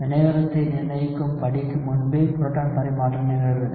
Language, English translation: Tamil, Proton transfer occurs before the rate determining step